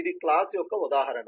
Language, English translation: Telugu, this is an instance of the class